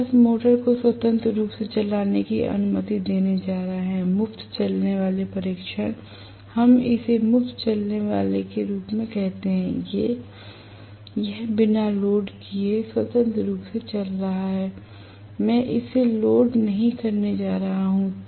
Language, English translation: Hindi, We are just going to allow the motor to run freely, free running test, we call it as free running it is running freely without being loaded, I am not going to load it at all